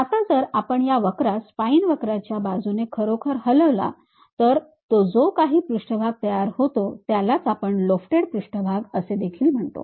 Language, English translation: Marathi, Now, if I really move this curve along that spine curve, whatever the surface it makes that is what we call lofted surface also